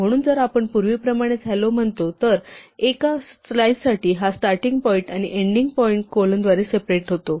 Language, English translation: Marathi, So, if we say s is hello as before, then for a slice we give this starting point and the ending point separated by colon